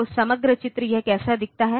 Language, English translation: Hindi, So, the overall picture; how does it look like